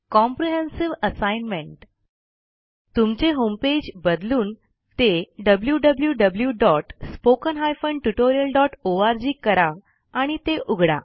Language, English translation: Marathi, Change your home page to www.spoken tutorial.org and navigate to it